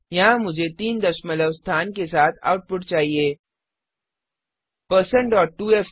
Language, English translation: Hindi, Suppose here I want an output with three decimal places